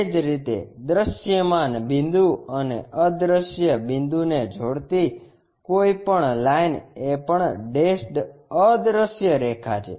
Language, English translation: Gujarati, Similarly, any line connecting a visible point and an invisible point is a dash invisible line